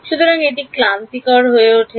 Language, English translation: Bengali, So, that becomes tedious